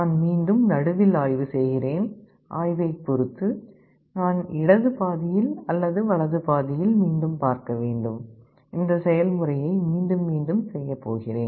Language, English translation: Tamil, I again probe in the middle, depending on the probe either I have to see in the left half or the right half; I repeat this process